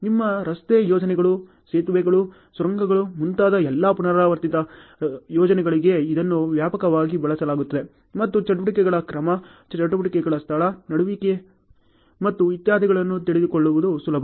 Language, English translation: Kannada, It is widely used for all repetitive projects like your road projects, bridges, tunnels and so on and it is easy to know the order of activities, locational happening of activities and etc ok